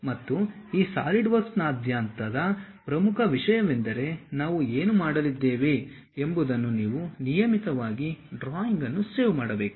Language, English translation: Kannada, And the most important thing throughout this Solidworks practice what we are going to do you have to regularly save the drawing